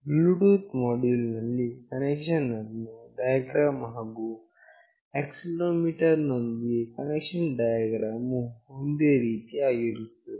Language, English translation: Kannada, The connection diagram with Bluetooth module, and with accelerometer will be the same